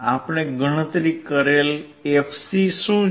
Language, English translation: Gujarati, What is the fc that we have calculated